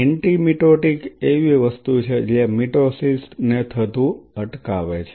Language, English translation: Gujarati, Anti mitotic is something which prevents the mitosis to happen